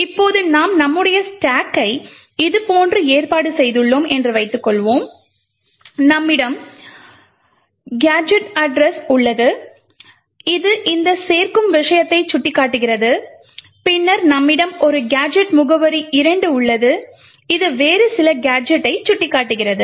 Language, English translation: Tamil, Now suppose we have arranged our stack like this, we have gadget address which is pointing to this add thing and then we have a gadget address 2 which is pointing to some other gadget